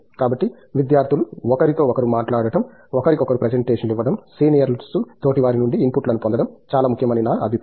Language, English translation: Telugu, So, I think it’s important that the students talk to each other, give presentations to each other, get inputs from the peer the seniors